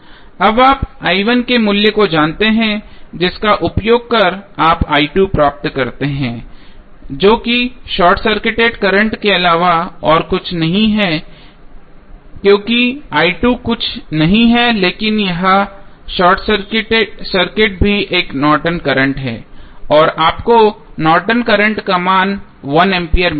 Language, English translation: Hindi, Now, you know the value of i 1 you simply put the value of i 1 here and you will get the current i 2 that is nothing but the short circuit current because i 2 is nothing but the short circuit here this is also a Norton's current and you get the value of Norton's current as 1 ampere